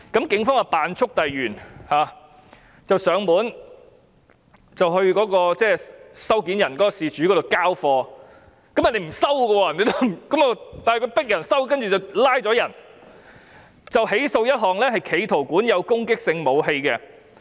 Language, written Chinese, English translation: Cantonese, 警方於是喬裝速遞員，約事主收貨，事主拒絕簽收，但警方仍拘捕他，再起訴一項企圖管有攻擊性武器罪。, A policeman therefore disguised himself as a courier and made an appointment with that person to take the parcel . Even when that person refused to sign and take the parcel the Police still arrested him and prosecuted him for possession of offensive weapon with intent